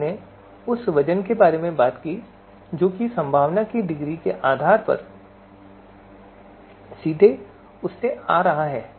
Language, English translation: Hindi, Then we talked about this weight which is directly coming from that based on that degree of possibility